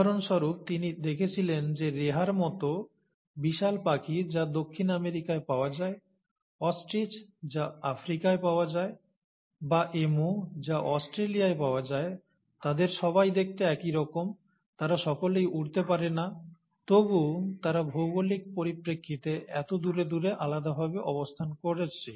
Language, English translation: Bengali, For example, he observed that giant flightless birds like Rhea which is found in South America, Ostrich which is found in Africa to Emu which is found in Australia, they all look similar, and they all are flightless, yet they are so much spaced apart in terms of the geography